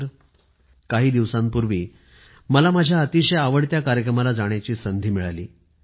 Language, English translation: Marathi, Recently, I had the opportunity to go to one of my favorite events